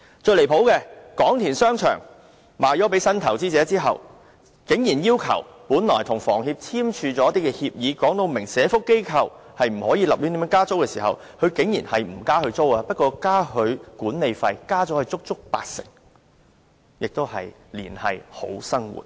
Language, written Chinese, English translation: Cantonese, 最離譜的是，廣田商場售予新投資者後，本來與房屋協會簽署協議訂明對社福機構不能胡亂加租，雖然新業主沒有加租，但卻增加足足八成的管理費，亦是"連繫好生活"。, What is most ridiculous is that after Kwong Tin Shopping Centre was sold to the new investor while the agreement signed with the Hong Kong Housing Society forbids any arbitrary increase of rental on social welfare organizations the new owner albeit not raising the rental nevertheless increased the management fee by as much as 80 % . Again this shows how it has linked people to a brighter future